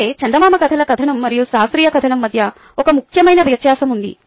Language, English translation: Telugu, however, there is an important distinction between the fairy tale narrative and the scientific narrative